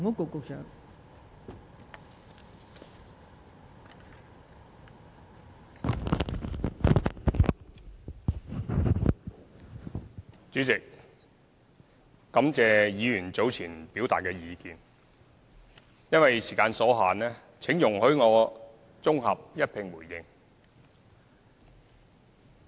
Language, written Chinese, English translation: Cantonese, 代理主席，感謝議員早前表達的意見，因為時間所限，請容許我綜合一併回應。, Deputy President I would like to thank Members for their earlier comments . Owing to time constraints please allow me to give a consolidated response